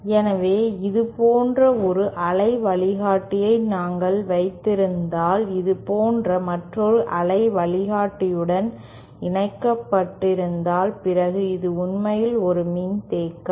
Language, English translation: Tamil, So, suppose we have one waveguide like this and connected to another waveguide like this and this is actually a capacitance